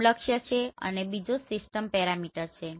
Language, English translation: Gujarati, The first one is the target and the second one is the system parameter